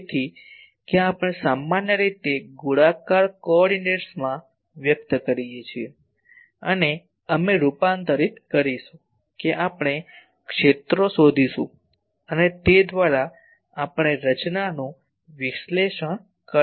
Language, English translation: Gujarati, So, that we generally express in spherical coordinates and we will convert that we will find the fields and we will by that we can analyze the structure